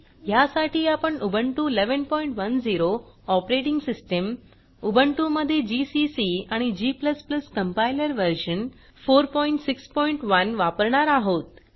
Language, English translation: Marathi, To record this tutorial, I am using:Ubuntu 11.10 as the operating system gcc and g++ Compiler version 4.6.1 in Ubuntu